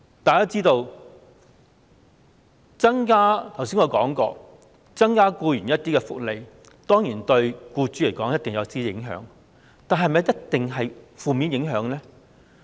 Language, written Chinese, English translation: Cantonese, 我剛才說過，增加僱員福利，對僱主來說當然會有影響，但是否一定是負面影響呢？, As I said just now the increase of employee benefits will certainly cause some impacts on employers but will such impacts be certainly negative?